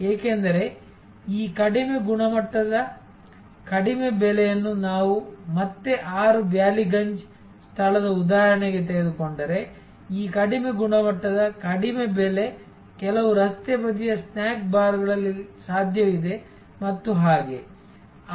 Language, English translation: Kannada, Because, these low quality low price also is not like if we take that again back to that example of 6 Ballygunge place, this low quality, low price maybe possible in some road side snack bars and so on